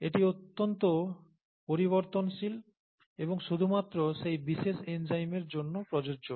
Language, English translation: Bengali, It is highly variable and applicable only for that particular enzyme, okay